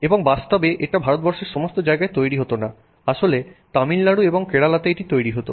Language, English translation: Bengali, They would import the steel from us and in fact not just anywhere in India, it used to be made actually in Tamil Nadu and Kerala